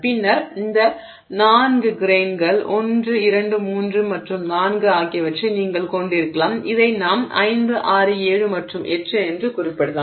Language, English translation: Tamil, And then you can have a situation where these four grains, one, two, three and four, and this is let's say five, six, seven and eight